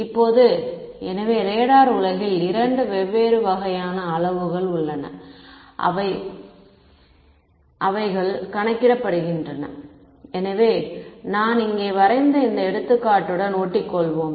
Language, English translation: Tamil, Now, so there are in the world of radar there are two different kinds of sort of quantities that are calculated; so, let us let us stick to this example which I have drawn over here